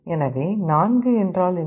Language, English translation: Tamil, So, what is 4